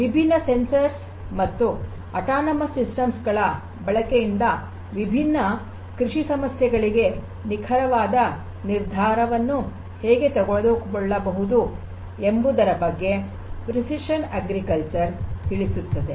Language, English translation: Kannada, Precision agriculture talks about that through the use of different sensors and autonomous systems how the precise decision making can be done for different agricultural problems